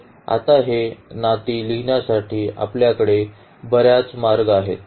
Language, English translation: Marathi, So, there we can have now many ways to write down these relations